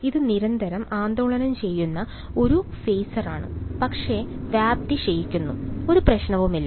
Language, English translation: Malayalam, It is a phaser which is constantly oscillating, but the amplitude is decaying no problem